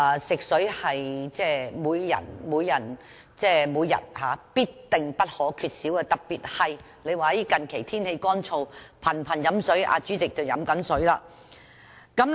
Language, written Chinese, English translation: Cantonese, 食水是每人每天必不可少的，特別是最近天氣乾燥，人們頻頻喝水——代理主席也在喝水。, Water is an everyday necessity for everyone . People drink water frequently especially when the weather is dry recently―Deputy President is also drinking water now